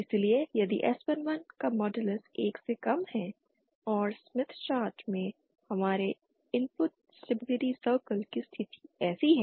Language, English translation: Hindi, Hence if modulus of s11 is less than 1 and our input stability circle at smith chart have position like this